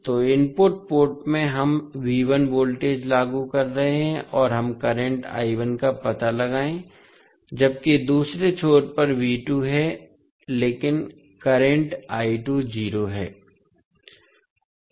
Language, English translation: Hindi, So, in the input port we are applying V1 voltage and we will find out the current I1, while at the other end V2 is there but current I2 is 0